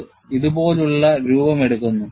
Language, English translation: Malayalam, And this takes the form, like this